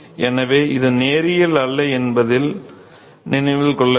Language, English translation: Tamil, So, note that is not linear